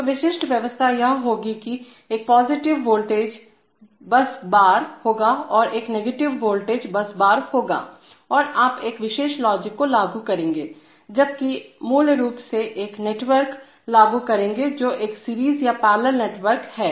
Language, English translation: Hindi, So the typical arrangement would be that, there will be a positive voltage bus bar and there will be a negative voltage bus bar and you will implement a particular logic, whereas you will implement basically a network which is a series or parallel network, series or parallel of various kinds of switches